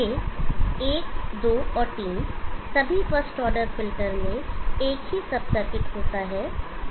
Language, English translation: Hindi, These one two and three all first order filters have the same sub circuit